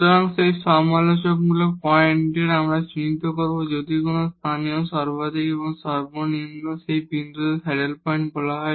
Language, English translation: Bengali, So, at these critical points we will identify if there is no local maximum and minimum that point will be called as the saddle point